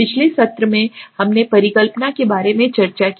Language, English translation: Hindi, In the last session we have discussed about hypothesis